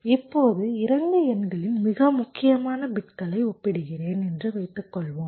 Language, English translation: Tamil, so what i am saying is that we compare the most significant bits